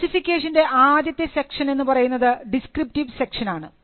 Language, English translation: Malayalam, Now, the first section of the specification will be a descriptive section